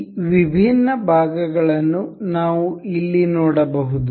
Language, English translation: Kannada, We can see this different parts here